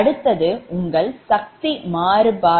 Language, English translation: Tamil, next is your power, invariance